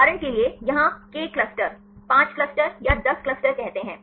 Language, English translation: Hindi, For example here k clusters, say 5 clusters or 10 clusters